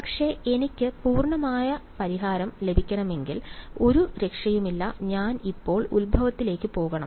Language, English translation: Malayalam, But if I want to get the complete solution, there is no escape I have to go to the origin now ok